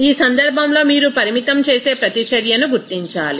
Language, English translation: Telugu, In this case you have to identify what the limiting reactant